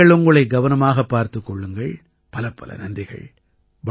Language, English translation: Tamil, Take care of yourself, thank you very much